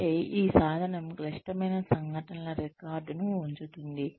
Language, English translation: Telugu, Which means, this tool keeps a record of, critical incidents